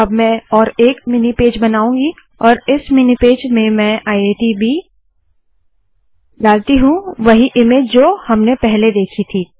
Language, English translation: Hindi, Now I am going to create another mini page and in this mini page I am going to put this IITb, the same image we saw earlier